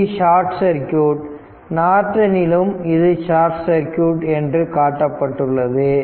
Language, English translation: Tamil, And this is your short circuit Norton also shown that this is short circuit